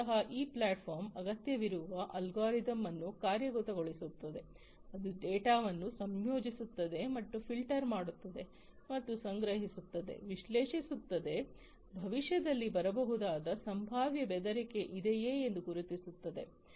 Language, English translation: Kannada, So, here basically this platform implements an algorithm that is required, which basically combines and filters the data, and the data that is collected will be analyzed to basically you know identify whether there is a potential threat that can come in the future